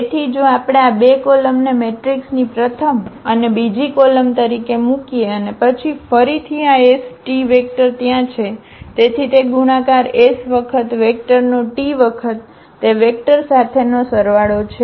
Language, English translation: Gujarati, So, if we put these 2 columns as the first and the second column of a matrix and then this s t again column vector there, so that multiplication which exactly give this s times this vector plus t times this vector